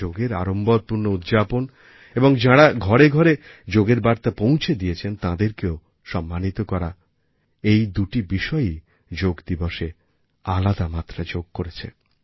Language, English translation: Bengali, The widespread celebration of Yoga and honouring those missionaries taking Yoga to the doorsteps of the common folk made this Yoga day special